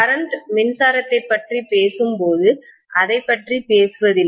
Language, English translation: Tamil, Hardly ever we talk about it when we talk about current electricity